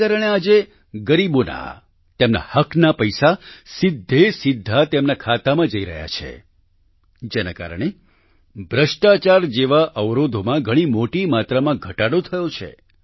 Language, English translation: Gujarati, Today, because of this the rightful money of the poor is getting credited directly into their accounts and because of this, obstacles like corruption have reduced very significantly